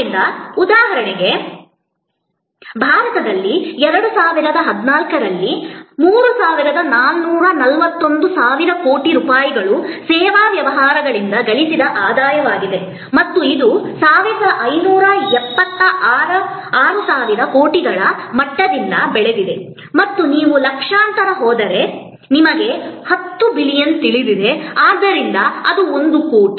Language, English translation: Kannada, So, so much to say that in India for example, 3441 thousand crores of rupees were the revenue generated by service businesses in 2014 and this has grown from the level of 1576 thousand crores and if you go in millions you know 10 billion, so it is a crore